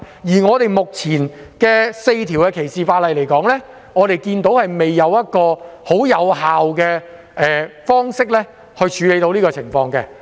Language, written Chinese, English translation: Cantonese, 觀乎目前的4項反歧視條例，我們看不到有任何方式可以十分有效處理以上情況。, We do not see that the four existing anti - discrimination ordinances can in any way cope with the above situation very effectively